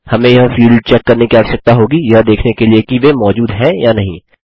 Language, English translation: Hindi, We will need to check this field to see whether they exist or not